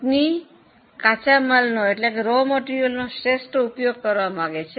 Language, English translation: Gujarati, They want to optimally use the raw material